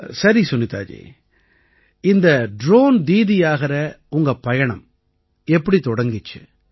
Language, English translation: Tamil, Okay Sunita ji, how did your journey of becoming a Drone Didi start